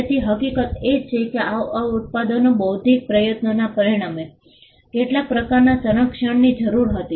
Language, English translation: Gujarati, So, the fact that these products resulted from an intellectual effort needed some kind of a protection